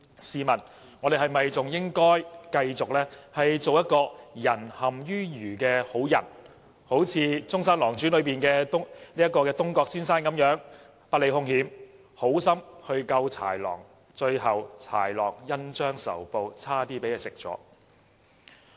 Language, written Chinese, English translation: Cantonese, 試問我們是否應該繼續做一個"仁陷於愚"的好人，好像"中山狼傳"中的東郭先生一樣，不理兇險，好心救豺狼，最後豺狼恩將仇報差點吃了他？, Should we continue to be a kind but stupid person? . Should we act like Mr Dongguo in Zhongshan Lang Zhuan who kind - heartedly saved the cunning wolf but almost ended up being eaten by it?